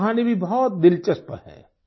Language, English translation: Hindi, His story is also very interesting